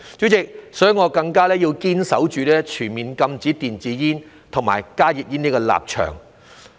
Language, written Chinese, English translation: Cantonese, 主席，所以我更加要堅守全面禁止電子煙和加熱煙的立場。, President that is the very reason that I all the more hold fast to my stance of a total ban on e - cigarettes and HTPs